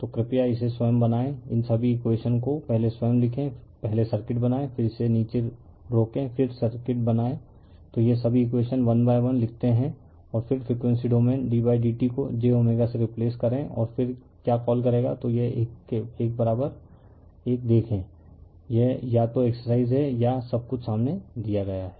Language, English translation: Hindi, So, this one you please make it of your own right, you write down all these equations of your own first you draw the circuit, then you right down all this your you pause it and then draw the circuit, then all this equations you write one by one alright and then you frequency domain you d d t you replace by j omega and then you will your what you call, then you see this one equivalent 1, this is either exercise for you or everything is given in front of you right